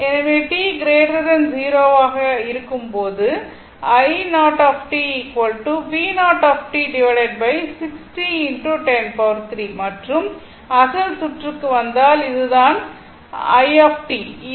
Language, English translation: Tamil, So, i 0 t that is your if you come to the original circuit, this is the i 0 t right